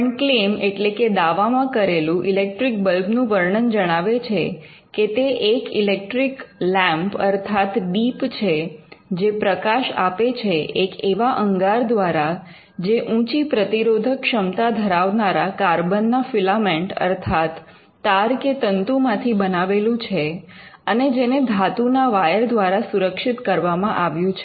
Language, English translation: Gujarati, But the way in which the electric bulb is described in a claim is as an electric lamp for giving light by incandescent consisting of a filament of carbon of high resistance made as described and secured by metallic wires as set forth